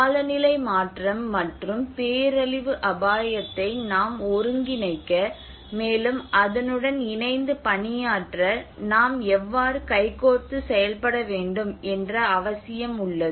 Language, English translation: Tamil, And there is a need that we need to integrate that climate change and the disaster risk and how we have to work in hand in hand to work with it